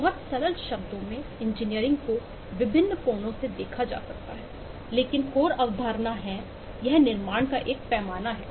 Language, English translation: Hindi, engineering, in very simple terms, can be look at from different angles, but the core concept is: it is a scale of construction